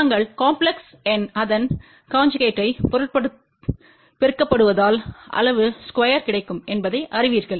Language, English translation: Tamil, We know that complex number multiplied by its conjugate will give the magnitude square